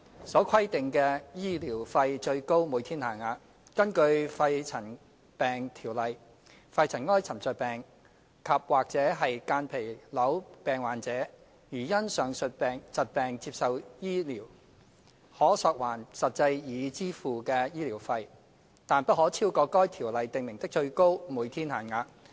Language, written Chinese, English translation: Cantonese, 所規定的醫療費最高每天限額。根據《條例》，肺塵埃沉着病及間皮瘤病患者如因上述疾病接受醫治，可索還實際已支付的醫療費，但不可超過《條例》訂明的最高每天限額。, Under PMCO a pneumoconiosis and mesothelioma sufferer who has received medical treatment in respect of the above diseases may claim reimbursement of the actual amount of medical expenses incurred subject to the maximum daily rates specified in the Ordinance